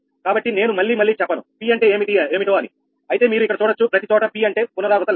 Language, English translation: Telugu, so i am not ah telling again and again p, but you can see it here everywhere p means iteration count